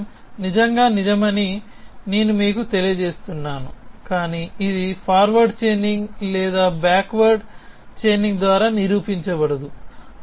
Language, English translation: Telugu, So, let me reveal to you that this sentence is indeed true, but it cannot be proven either by a forward chaining or backward chaining